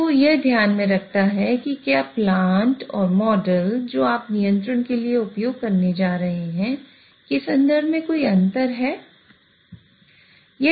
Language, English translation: Hindi, So, this takes into account whether there is a difference in terms of the plant and the model which you are going to use for the control